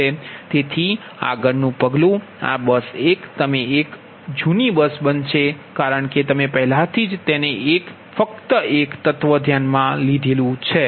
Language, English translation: Gujarati, so next step, this bus one, you will become an old bus because already you have considered that one